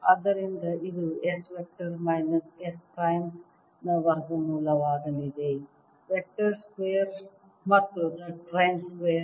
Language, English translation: Kannada, so this is going to be square root of s vector minus s prime vector, square plus z prime square